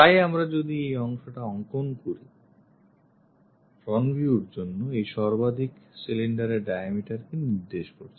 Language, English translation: Bengali, So, if we are drawing this portion for the front view indicates this maximum diameter cylinder